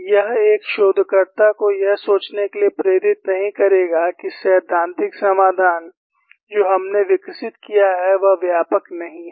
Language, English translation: Hindi, It would not have promoted a researcher to think, that the theoretical solution, what we have developed is not comprehensive